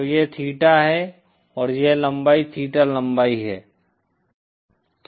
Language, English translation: Hindi, So this is theta and this length is theta length